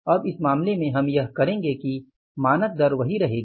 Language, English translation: Hindi, So this is called as the standard rate